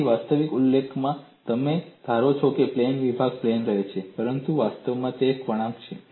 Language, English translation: Gujarati, So, in actual solution, you assume plane sections remain plane, but in reality, it is a curve